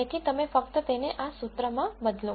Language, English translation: Gujarati, So, you simply substitute them into this expression